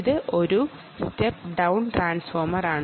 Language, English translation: Malayalam, it is a step down transformer